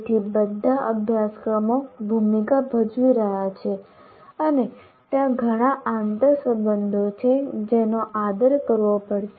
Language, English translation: Gujarati, So, all the courses are are playing a role and there are lots of interrelationships